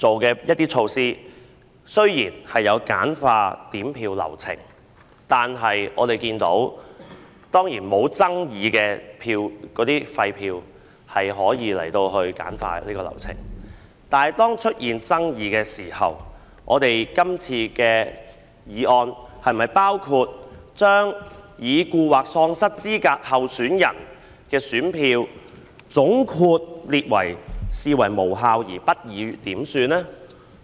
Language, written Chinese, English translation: Cantonese, 整體而言，今次制訂的措施有助簡化點票流程，投票沒有爭議時，流程當然可以簡化，但是當出現爭議時，今次的修訂是否將已故或喪失資格候選人的選票總括列為無效而不予點算呢？, On the whole the measures formulated this time will help streamline the counting process when there is no controversy over the polling . However when controversies arise will votes recorded for a deceased or disqualified candidate be treated as invalid and not to be counted under the amendments this time?